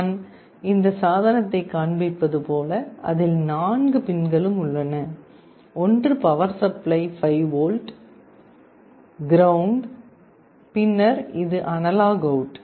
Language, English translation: Tamil, Like I am showing this device, it has four pins; one is the power supply 5 volts, ground, then this is analog out